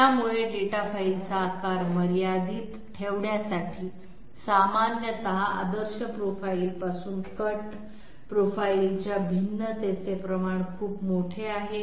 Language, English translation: Marathi, So in order to keep data file size within limits, generally the amount of variation of the cut profile from the ideal profile that is very large